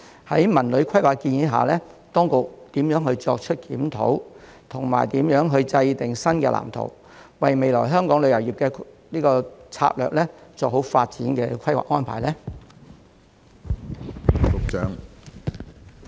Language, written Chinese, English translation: Cantonese, 在《文旅規劃》的建議下，當局會如何作出檢討及制訂新的藍圖，為未來香港旅遊業的策略做好發展的規劃安排呢？, Under the proposals of the CTD Plan how will the authorities conduct a review and formulate a new blueprint for future development planning of Hong Kongs tourism strategy?